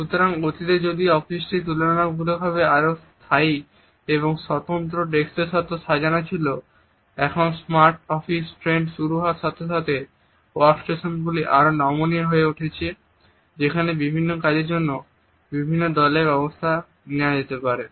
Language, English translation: Bengali, So, if in the past the office was arranged with a relatively more fixed and individual desks, now with the beginning of the smart office trend the workstations become more and more flexible where different teams can be arranged for different works